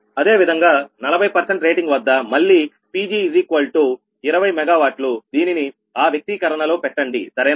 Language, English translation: Telugu, similarly, at forty percent rating, again, pg twenty megawatt, put in that expression, right, you will get